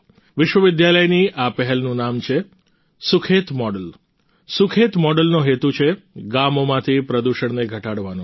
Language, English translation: Gujarati, The name of this initiative of the university is "Sukhet Model" The purpose of the Sukhet model is to reduce pollution in the villages